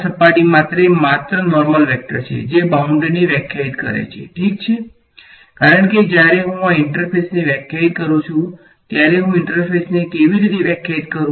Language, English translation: Gujarati, n cap is just the normal vector for this surface that defines the boundary ok, because whenever I define a interface I how do I define the interface